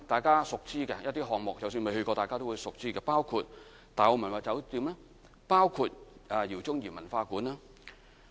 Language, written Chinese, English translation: Cantonese, 即使大家未曾前往參觀，都已熟知的項目包括大澳文物酒店、饒宗頤文化館等。, I am sure everybody is familiar with projects such as the Tai O Heritage Hotel and the Jao Tsung - I Academy under the scheme even if one has not paid a visit there in person